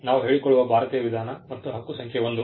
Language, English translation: Kannada, This is the Indian way of doing it we claim and the claim number 1